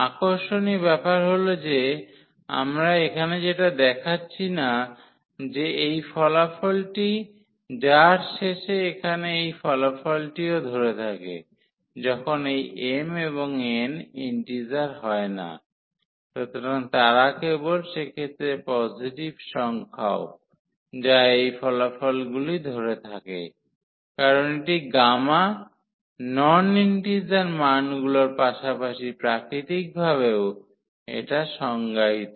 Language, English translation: Bengali, And, what is interesting which we are not showing here that this result with which at the end here this result also holds when this m and n are not integer, so, they are just the positive number in that case also this results holds because this gamma is defined for non integer values as well naturally